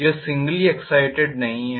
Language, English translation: Hindi, It is not singly excited